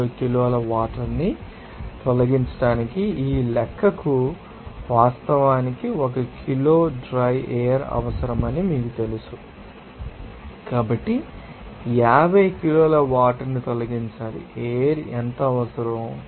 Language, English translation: Telugu, 0 kg of water it actually requires one kg of dryer per this calculation, so, 50 kg of water to be removed, what would the amount of air to be required